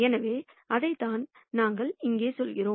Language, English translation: Tamil, So, that is what we are saying here